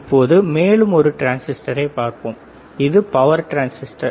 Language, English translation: Tamil, So, let us see one more transistor, and this is the power transistor